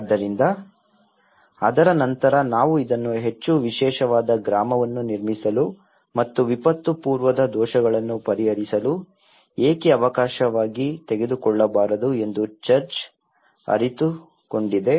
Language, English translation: Kannada, So, after that, the church have realized that why not we take this as an opportunity to build a more special village and to also address the pre disaster vulnerabilities